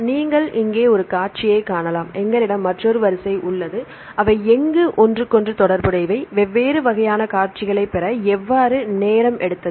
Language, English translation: Tamil, You can see the one sequence here and we have another sequence, how they are related to each other, how long it took to get different types of sequences